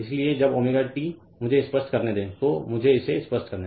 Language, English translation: Hindi, So, when omega t let me clear it let me clear it